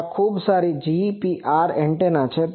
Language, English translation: Gujarati, And this is a very good GPR antenna